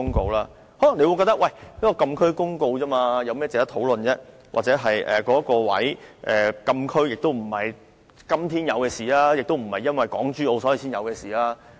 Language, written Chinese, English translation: Cantonese, 大家可能會認為，這項有關禁區的公告不值得討論，或認為禁區不是今天才設立，也不是因為港珠澳大橋才設立。, Members may consider that this notice relating to closed areas is not worthy of discussion or that closed areas are neither established today nor established for the purpose of the Hong Kong - Zhuhai - Macao Bridge